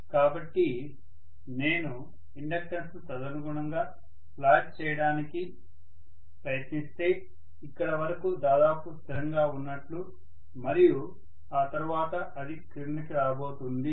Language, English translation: Telugu, So if I try to plot the inductance correspondingly, I should plot it as though it is almost a constant until here and then it is going to come down